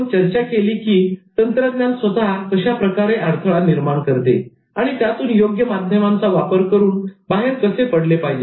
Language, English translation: Marathi, We talked about how technology itself can act as a barrier and some of the overcoming strategies like use of appropriate medium